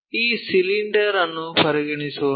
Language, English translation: Kannada, So, let us consider this cylinder